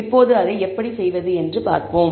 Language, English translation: Tamil, Now, let us see how to do that